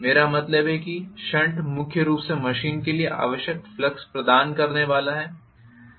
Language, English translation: Hindi, What I mean is the shunt is going to provide primarily the flux that is required for the machine